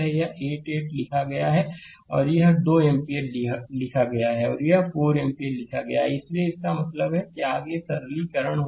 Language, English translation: Hindi, This 8 ohm is written and this 2 ampere is written and this 4 ampere is written say right, so that means, further simplification then you clear it right